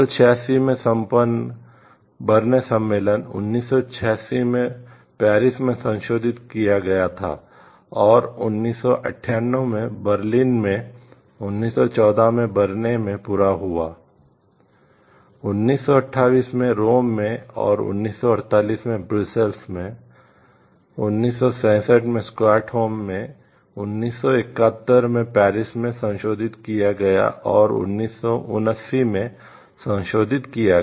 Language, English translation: Hindi, So, the Paris convention concluded in 1883 in and it was revised in Brussels in 1900, and Washington in 1911, in The Hague in 1925, at London in 1934, at Lisbon in 1958, at Stockholm in 1967, and was amended in 1979